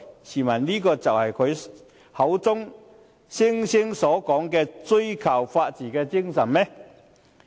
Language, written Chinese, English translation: Cantonese, 試問這是他口中所說所追求的法治精神嗎？, Is this the rule of law as he mentioned that he is pursuing?